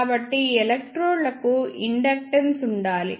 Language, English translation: Telugu, So, there must exist inductance for these electrodes